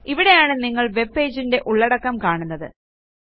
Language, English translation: Malayalam, This is where you see the content of the webpage you are viewing